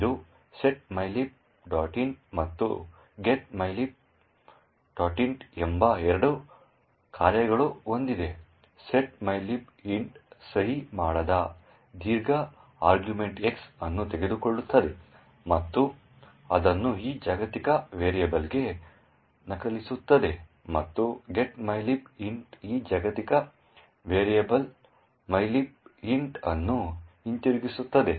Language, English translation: Kannada, It has two functions setmylib int and getmylib int, the setmylib int takes unsigned long argument X and just copies it to this global variable and getmylib int returns this global variable mylib int